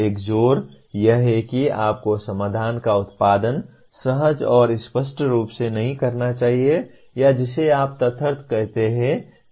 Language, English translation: Hindi, One emphasis is you should not be producing solutions intuitively and obviously or what you call ad hoc